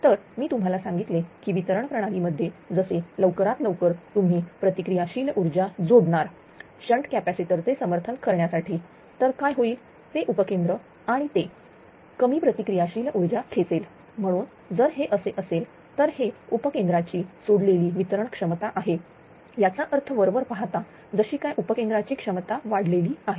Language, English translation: Marathi, So, I told you that in distinguishing system as soon as you as soon as you connect the you are what to call that ah reactive power ah this support the shunt capacitor then what will happen that substation from the substances and it will draw less ah reactive power therefore, it therefore, the if if if it is so, then it is releasing distribution substation capacity that will apparently this as if substation capacity increase